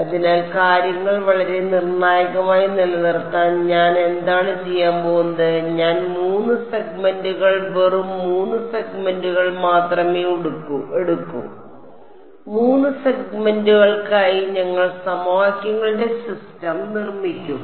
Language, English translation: Malayalam, So, to keep things very concrete what I am going to do is I am going to assume 3 segments just 3 segments and we will build our system of equations for 3 segments